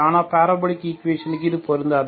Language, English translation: Tamil, But it is not the case for the parabolic equation